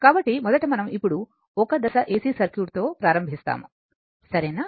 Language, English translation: Telugu, So, first we will now we will start with Single Phase AC Circuit, right